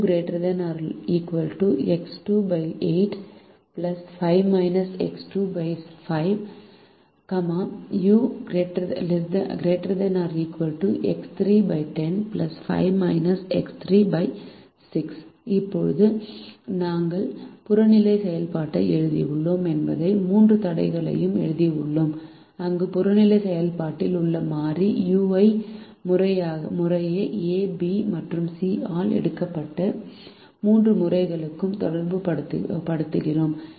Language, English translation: Tamil, now we realize that we have written the objective function and we have also three constraints where we relate the variable u, which is in the objective function, to the tree times taken by a, b and c respectively